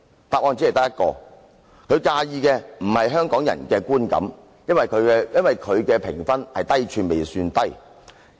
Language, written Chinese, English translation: Cantonese, 答案只有一個，就是他介意的不是香港人的觀感，可見他的評分是"低處未算低"。, There is only one answer ie . he does not care about the feelings of Hong Kong people; as we can see his rating is getting lower and lower